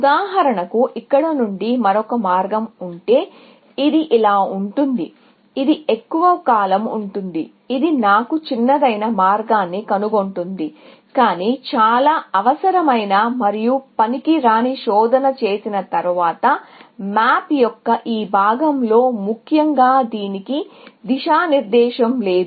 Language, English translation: Telugu, For example, if there is another path from here, which goes like this, which is longer; it will find me the shortest path, but after doing a lot of unnecessary and useless search, in this part of the map, essentially